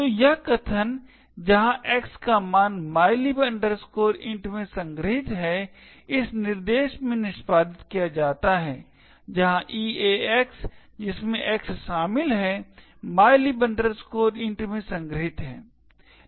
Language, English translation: Hindi, So, this statement where the value of X is stored in mylib int is executed in this instruction where EAX which comprises of X is stored in mylib int